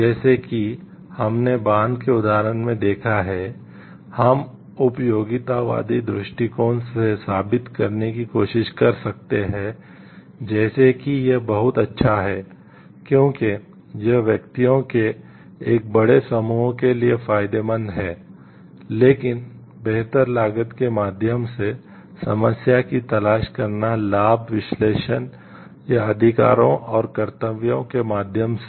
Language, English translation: Hindi, It like we saw in the example of the dam, we may try to prove from the utilitarian perspective like it is good to have the damn because it is beneficial maybe for a larger set of individuals, but finer looking to the problem through the cost benefit analysis or through rights and duties